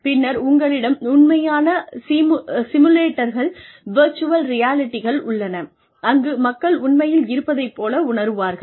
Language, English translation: Tamil, And then, you have the actual simulators, virtual realities, where people are actually put in